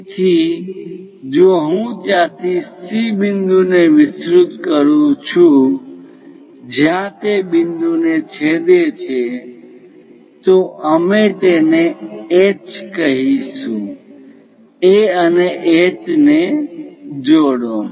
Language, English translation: Gujarati, So, if I am going to extend points from C all the way there, where it is going to intersect that point we will be calling H; join A and H